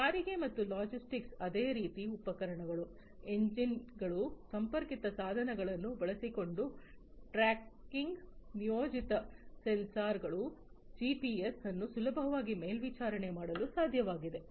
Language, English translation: Kannada, Transportation and logistics likewise you know it is possible to easily monitor the equipments, engines, tracking using the connected devices, deployed sensors, gps etc